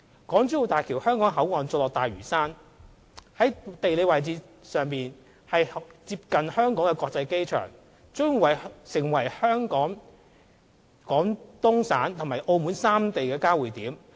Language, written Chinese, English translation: Cantonese, 港珠澳大橋香港口岸座落大嶼山，地理位置上接近香港國際機場，將成為香港、廣東省和澳門三地的交匯點。, The Hong Kong Boundary Crossing Facilities of HZMB are located on Lantau Island . Their geographical location is close to the Hong Kong International Airport . They will become the converging point of the three regions of Hong Kong Guangdong Province and Macao